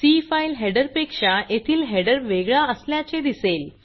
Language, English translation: Marathi, Notice that the header is different from the C file header